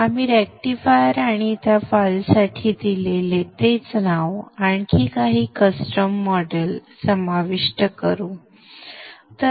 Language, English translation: Marathi, The same name that we gave for the rectifier and to that file we will include or add a few more custom models